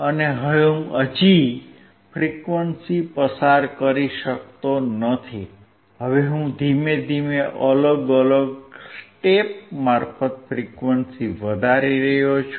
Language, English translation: Gujarati, And I cannot still pass the frequency, now I keep on increasing the frequency in slowly in steps